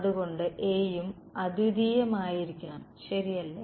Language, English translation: Malayalam, So, A also should be unique right